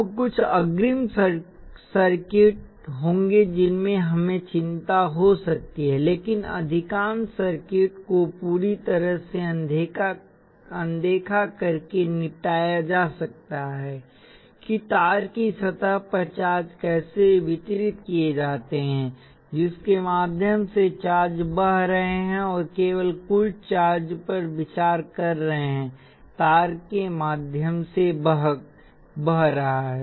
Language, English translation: Hindi, Now there will be some advance circuits in which this may we have concern, but most of the circuits can be dealt with by completely ignoring how the charges are distributed across the surface of the wire through which the charges are flowing and considering only the total charge flowing through the wire